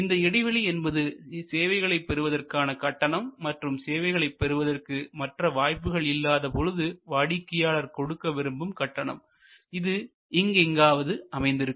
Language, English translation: Tamil, So, that this difference between the price paid and amount the customer would have been willing to pay in absence of other options this usually is somewhere here